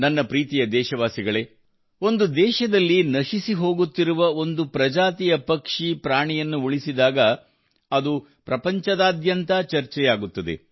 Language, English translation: Kannada, My dear countrymen, when a species of bird, a living being which is going extinct in a country is saved, it is discussed all over the world